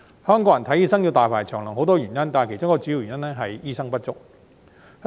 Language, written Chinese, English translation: Cantonese, 香港人看醫生要大排長龍有很多原因，其中一個主要原因是醫生不足。, There are many reasons behind the long queue for Hong Kong people waiting to see a doctor with one of the major causes being the shortage of doctors